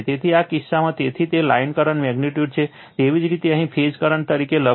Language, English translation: Gujarati, So, in this case, so it is line current magnitude is equal to your write as a phase current here